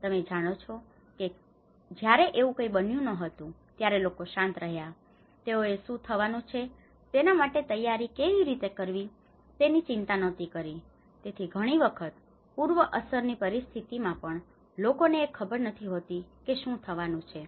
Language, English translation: Gujarati, You know how it was when nothing has happened people remained calm, they did not bothered about what is going to happen, how to prepare for it or how to, so even in the pre impact situations many at times people do not realise what it is going to happen